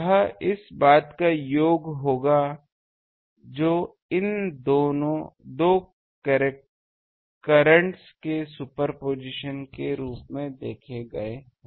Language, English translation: Hindi, It will be sum of this that we just seen as a superposition of these two currents